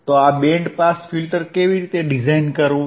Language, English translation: Gujarati, So, how to design this band pass filter